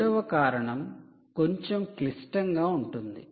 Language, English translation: Telugu, the second one is all to do with complicated